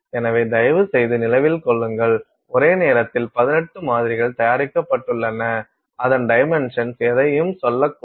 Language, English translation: Tamil, So, please remember now we have 18 samples made at the same time and those dimensions could be say anything